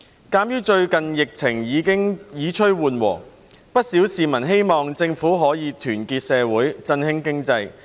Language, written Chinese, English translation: Cantonese, 鑒於最近疫情已趨緩和，不少市民希望政府可團結社會，振興經濟。, Given that the epidemic has subsided recently quite a number of members of the public hope that the Government can unite society and boost the economy